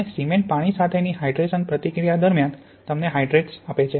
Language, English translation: Gujarati, And during this hydration reaction the water reacts with the cement to give you hydrates